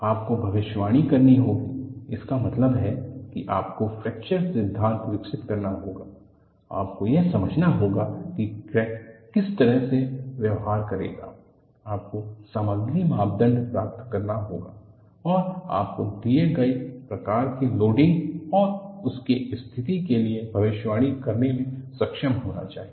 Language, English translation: Hindi, You have to predict; that means you have to develop the fracture theory, you have to understand what way the crack will behave, you have to get the material parameter and you should be able to predict for a given type of loading and situation